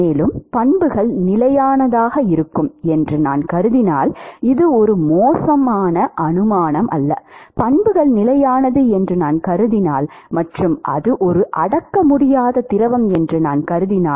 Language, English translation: Tamil, And if I assume that the properties are constant, this is not a bad assumption to make; if I assume that the properties are constant and if I assume it to be an incompressible fluid